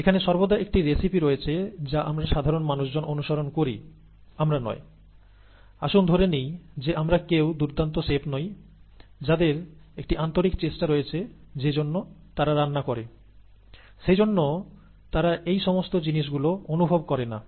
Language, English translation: Bengali, There is always a recipe that we average people follow, we are not, let us assume that we are not great chefs who have an, an inherent feel for what they cook, and therefore they do not need all these things